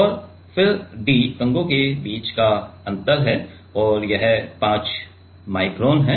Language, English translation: Hindi, And then d is the gap between the comb and that is also 5 micron so, 5 micron